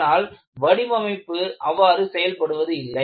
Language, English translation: Tamil, It is not the way design works